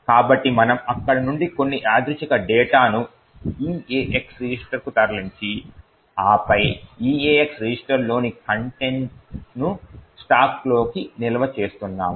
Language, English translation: Telugu, So, we are taking some random data from there moving it to the EAX register and then storing the contents of the EAX register into the stack